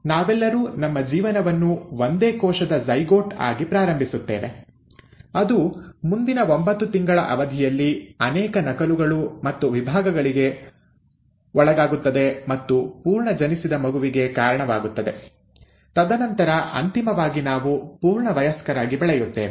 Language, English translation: Kannada, Now we all start our life as a single celled zygote, which then over the period of next nine months undergoes multiple duplications and divisions and gives rise to the full born baby, and then eventually we end up developing into a full adult